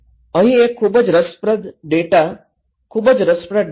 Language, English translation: Gujarati, Here is a very interesting data, very interesting data